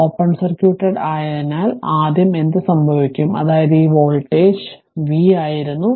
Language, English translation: Malayalam, So, in that case, what will happen that first as it this is open circuit that means this voltage this voltage was v right